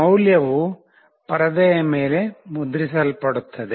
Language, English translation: Kannada, The value gets printed on the screen